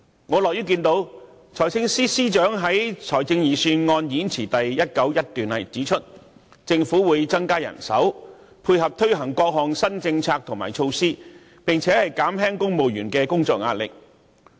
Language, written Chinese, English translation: Cantonese, 我樂於看到財政司司長在財政預算案演辭第191段指出："政府會增加人手，配合推行各項新政策和措施，並減輕公務員的工作壓力......, I am glad to see the Financial Secretary state in paragraph 191 of the budget speech that [t]he Government will increase manpower to support the implementation of various new policies and initiatives and ease the work pressure on civil servants